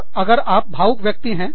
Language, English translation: Hindi, And, if you are an emotional person